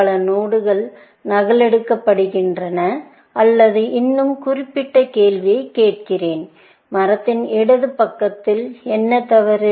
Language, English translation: Tamil, Many nodes are replicated, or let me ask a more specific question; what is wrong in the left side of the tree